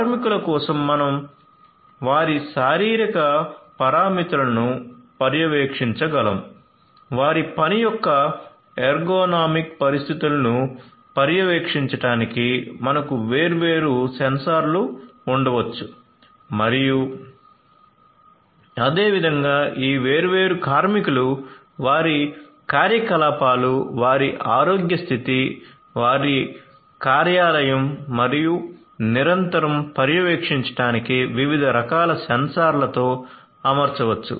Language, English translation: Telugu, So, for workers we can monitor their physiological parameters, we could have different sensors to monitor their ergonomic conditions of work and likewise these different workers could be fitted with diverse types of sensors for continuously monitoring their activities, their health status, their workplace and so on